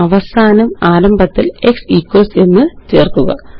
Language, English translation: Malayalam, And finally add x equals to the beginning